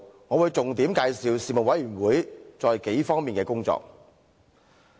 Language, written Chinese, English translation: Cantonese, 我會重點介紹事務委員會在數個方面的工作。, I will highlight several major areas of work of the Panel